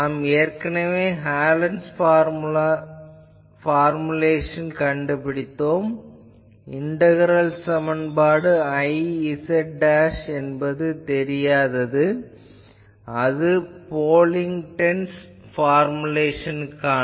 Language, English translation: Tamil, We have already found out Hallen’s formulation, it is an integral equation I z dashed is unknown, this is for Pocklington’s formulation